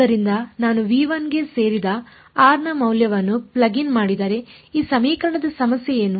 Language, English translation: Kannada, So, if I plug in a value of r belonging to v 1, can I what is the problem with this equation